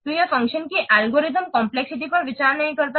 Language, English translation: Hindi, So, it does not consider algorithm complexity of a function